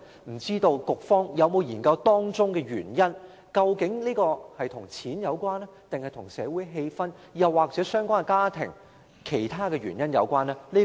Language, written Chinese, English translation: Cantonese, 不知道局方有否研究箇中原因，究竟是與金錢有關，還是與社會氣氛、相關家庭或其他原因有關呢？, I wonder if the Bureau has studied the causes . Is it related to money the social atmosphere the families concerned or other reasons?